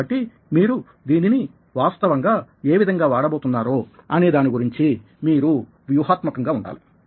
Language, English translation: Telugu, so you need to be strategic about how you are actually using it